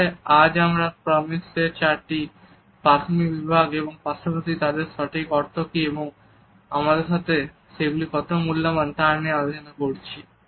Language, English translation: Bengali, So, today we have discussed the basic four zones of proxemics as well as what exactly do they mean and how precious they are to us